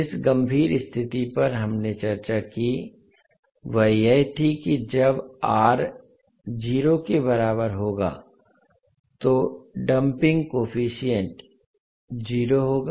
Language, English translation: Hindi, The critical condition which we discussed was that when R is equal to 0 the damping coefficient would be 0